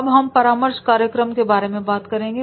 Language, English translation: Hindi, Now whenever we talk about the mentoring programs, right